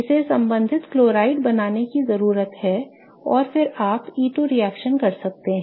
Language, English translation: Hindi, It needs to form the corresponding chloride and then you can do the E2 reaction